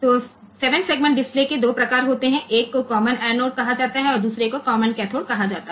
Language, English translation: Gujarati, So, there are 2 types of 7 segment displays one is called common anode another is called common cathode